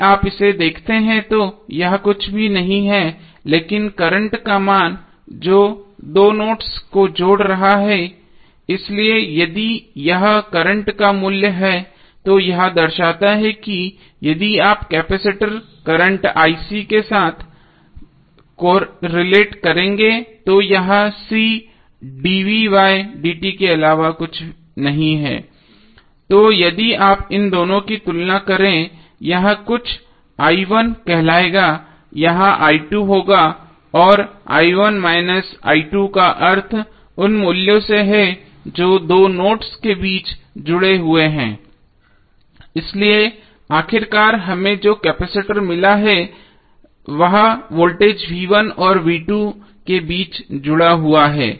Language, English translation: Hindi, If you see this, this is nothing but the value of the current which is connecting two nodes, so if this is the value of current it signifies what, if you correlate with capacitor current ic is nothing but C dv by dt, so if you compare this two this will be something called i1 this will be i2 and i1 minus i2 means the values which are connected between two nodes, so finally what we got is the capacitor which is connected between voltage v1 and v2